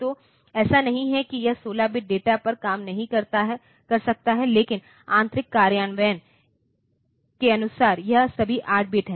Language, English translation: Hindi, So, it is not that it cannot operate on 16 bit data, but internal implementation wise it is all 8 bit